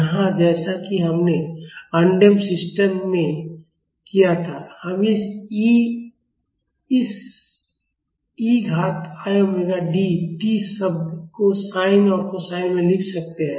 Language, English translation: Hindi, Here as we did in the undamped system, we can write this e to the power i omega D t terms in sine and cosines